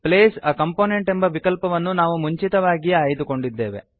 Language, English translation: Kannada, The Place a component option was previously selected by us